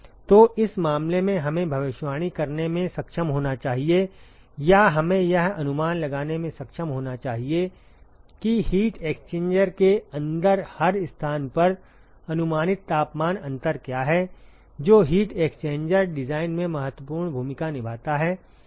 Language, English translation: Hindi, So, in this case we should be able to predict or we should be able to estimate what is the approximate temperature difference at every location inside the heat exchanger that plays an important role in heat exchanger design ok